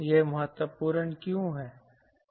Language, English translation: Hindi, why that is important